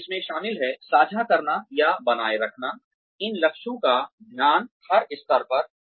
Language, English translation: Hindi, So, this involves, sharing or sustaining, the focus of these goals, at every level